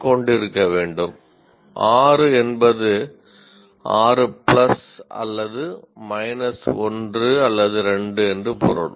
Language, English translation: Tamil, 6 would mean 6 plus or minus 1 or 2